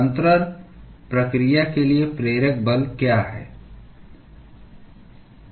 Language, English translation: Hindi, What is the driving force for transfer process